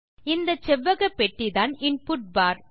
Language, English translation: Tamil, This rectangular box here is the input bar